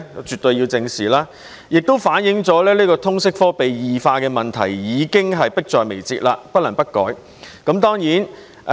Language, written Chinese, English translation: Cantonese, 絕對要得到正視，這情況亦反映通識科被異化的問題已經迫在眉睫，不得不改。, It absolutely needs to be addressed squarely . This situation also reflects that the problem of the LS subject deviating from its objective is imminent and the subject must be reformed